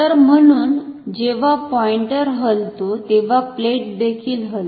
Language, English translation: Marathi, So, this as the pointer moves the plate inside also moves